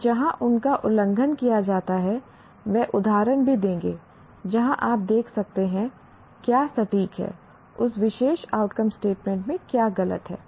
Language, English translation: Hindi, And where they are violated will also give examples where you can see what is wrong with that particular outcome statement